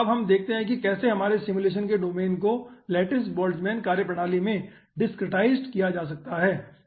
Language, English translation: Hindi, rightnow let us see how the domain of our simulation can be discrete zed in lattice boltzmann methodology, for example